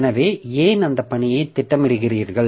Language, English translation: Tamil, So, why do we schedule that task